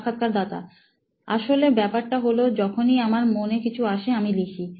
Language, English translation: Bengali, Actually the thing is like whenever I have something in my mind, I used to write it